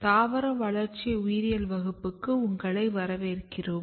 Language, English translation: Tamil, Welcome to Plant Developmental Biology